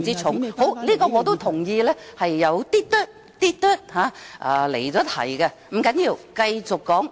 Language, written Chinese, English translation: Cantonese, 好的，我亦同意有些離題，不要緊，我繼續發言。, Okay . I also agree that I have digressed a little from the subject . Never mind